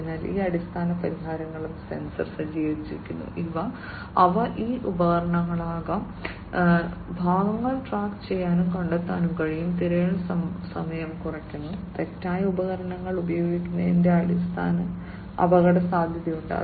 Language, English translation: Malayalam, So, these basic the solution that they have is also sensor equipped, and they can be these tools and parts can be tracked and traced, there is reduction in searching time, and risk for using wrong tools